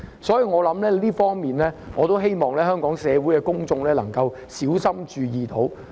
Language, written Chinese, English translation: Cantonese, 所以，我希望香港社會公眾可小心注意這一方面。, For this reason I hope Hong Kong society and the public can pay greater heed to this aspect